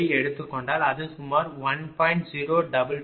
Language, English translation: Tamil, So, it will be approximately 1